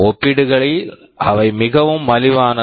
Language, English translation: Tamil, They are pretty cheap in comparison